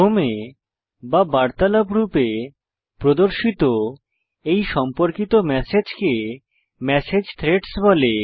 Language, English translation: Bengali, Related messages that are displayed in a sequence or as a conversation are called Message Threads